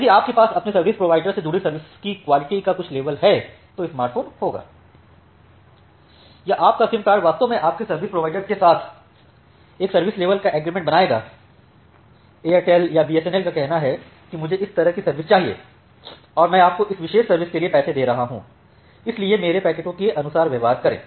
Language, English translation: Hindi, So, if you have certain level of quality of service associated with your service provider, then the smartphone will or the smartphone or your SIM card will actually create one service level agreement with your service provider, say the Airtel or BSNL that I want this much amount of service and I am paying you money for this particular service so treat my packets accordingly